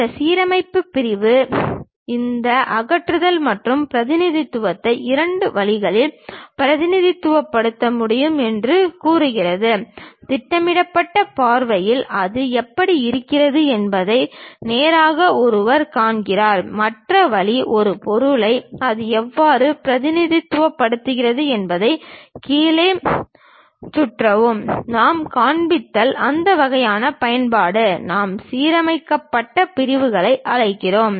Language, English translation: Tamil, This aligned section says, we can represent these removal and representation by two ways; one straight away see that in the projectional view, how it looks like, the other way is rotate this object all the way down how that really represented, that kind of use if we are showing, that we call aligned sections